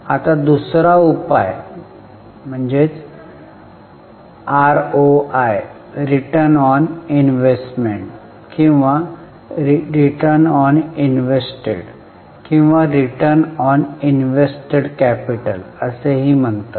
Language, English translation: Marathi, Now the other major is ROI also known as return on invested or return on investment or return on invested capital